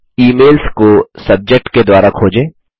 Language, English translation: Hindi, Search for emails by Subject